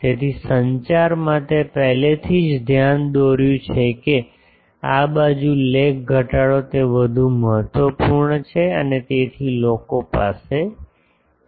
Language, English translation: Gujarati, So, in communication I already pointed out that the this side lobe reduction is more important and so, people have